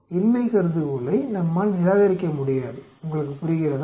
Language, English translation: Tamil, We cannot reject the null hypothesis, you understand